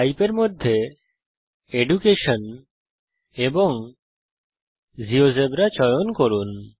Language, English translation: Bengali, Under Type Choose Education and GeoGebra